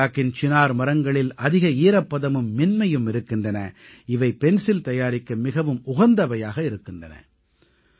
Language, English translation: Tamil, Chinar wood of the valley has high moisture content and softness, which makes it most suitable for the manufacture of pencils